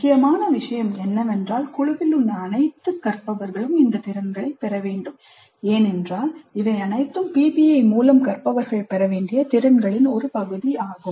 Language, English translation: Tamil, The important point is that all the learners in the group must acquire these skills because these are all part of the skills that the learners are supposed to acquire through the PBI